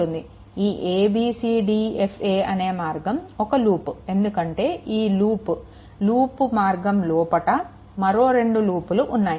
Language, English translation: Telugu, So, this is a loop a b c d e f a, this is a loop because within this loop that 2 bold loops are there